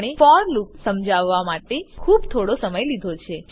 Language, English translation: Gujarati, We have spent quite a bit of time explaining the for loop